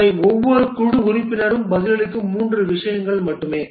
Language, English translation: Tamil, These are only three things that each team members answers, discusses